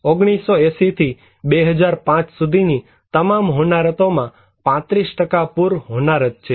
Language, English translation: Gujarati, 35% of the all disasters are from 1980 to 2005 are flood disasters